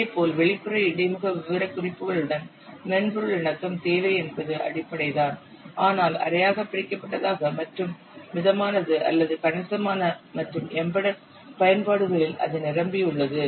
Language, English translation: Tamil, Similarly, need for software conformance with external interface specifications in organics just it is basic but semi detachment is moderate or considerable and in embedded applications it is full